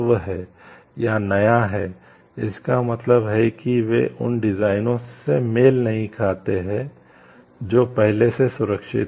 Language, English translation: Hindi, New here, means they should not be similar to designs which have already been protected